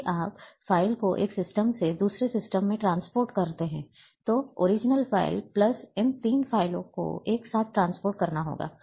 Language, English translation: Hindi, If you transport the file from one system to another, then the original file, plus these 3 files have to be transported together